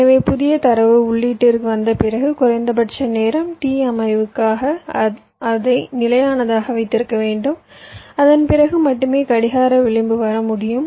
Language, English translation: Tamil, so after my new data has come to the input, i must keep it stable for a minimum amount of time: t set up only after which my clock edge can come